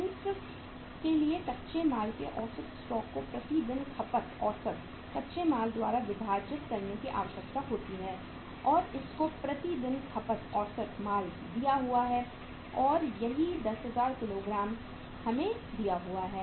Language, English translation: Hindi, The formula requires average stock of raw material divided by average raw material consumed per day and you are also given the average raw material consumed per day and that is the say 10000 kgs are given to us